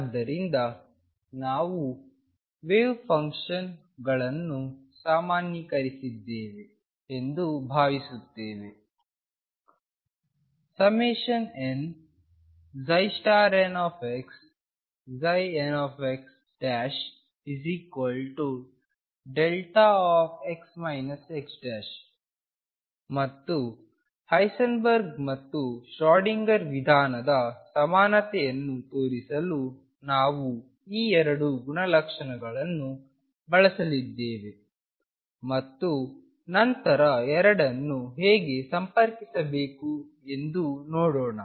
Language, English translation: Kannada, So, we are assuming we have normalized the wave functions and summation n psi n star x psi n x prime equals delta x minus x prime and we are going to use these 2 properties to show the equivalence of Heisenberg’s and Schrödinger’s approach and then see how to connect the 2